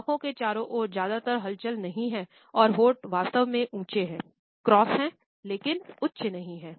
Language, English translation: Hindi, There is not much movement around the eyes and the lips are really elevated, there are cross, but not high up